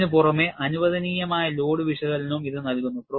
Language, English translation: Malayalam, In addition to this, it also provides allowable load analysis